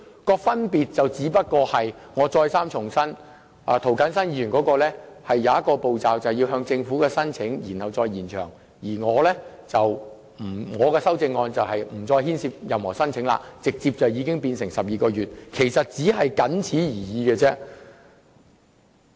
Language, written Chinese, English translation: Cantonese, 我重申，當中的分別只在於涂謹申議員的修正案多了一個向政府申請延長期限的步驟，而我的修正案則建議無須申請，直接將寬限期延長至12個月。, I reiterate that the only difference between our CSAs lies in one additional procedure set out in Mr James TOs CSAs namely an application to the Government for extending the time limit . In contrast my CSAs have proposed to extend the grace period directly to 12 months with no application required